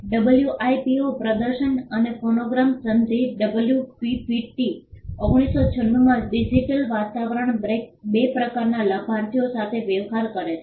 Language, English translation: Gujarati, The WIPO performances and phonograms treaty the WPPT 1996 deals with two kinds of beneficiaries in the digital environment